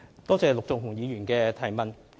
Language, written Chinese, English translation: Cantonese, 多謝陸頌雄議員的提問。, I thank Mr LUK Chung - hung for his question